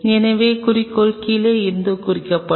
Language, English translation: Tamil, So, objective is from the bottom